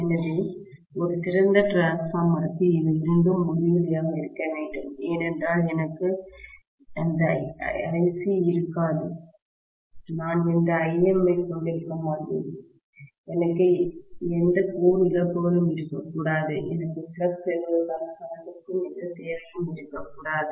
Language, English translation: Tamil, So, for an ideal transformer, these two should be infinity, because I will not have any Ic, I will not have any Im, I should not have any core losses, I should not have any requirement for the current for establishing the flux, right